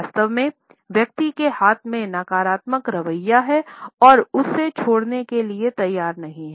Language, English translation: Hindi, In fact, the person is figuratively holding the negative attitude in his hands and his unwilling to leave it aside